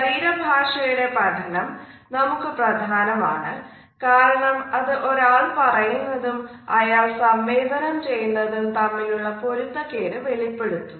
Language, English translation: Malayalam, The study of body language is important for us as it alerts us to the inconsistencies, which exists between what one says and also what one conveys